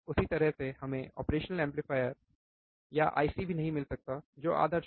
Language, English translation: Hindi, Same way we cannot also find operation amplifier or IC which is ideal